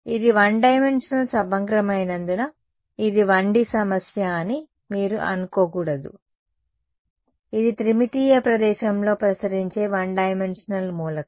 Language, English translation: Telugu, Just because its one dimensional integral you should not think that it is a 1D problem; it is a one dimensional element radiating in three dimensional space